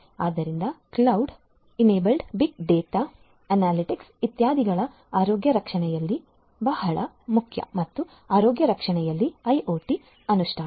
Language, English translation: Kannada, So, cloud enablement big data analytics etcetera are very important in healthcare and IoT implementation in healthcare